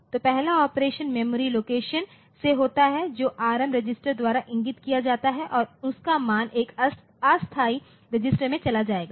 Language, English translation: Hindi, So, first the first operation is from the memory location which is pointed to by the Rm register the value will be moving to the temporary a temporary register